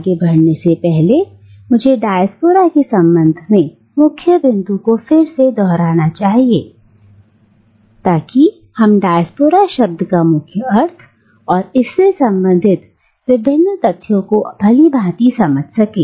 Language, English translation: Hindi, And let me, before I proceed any further, let me reiterate the main points again with regards to diaspora so that we know that we have clearly understood the term diaspora and its various connotations